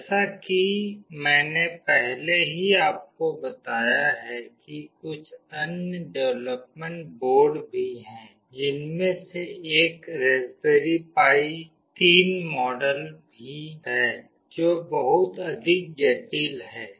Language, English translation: Hindi, As I have already told you there are some other development boards as well, one of which is Raspberry Pi 3 model that is much more sophisticated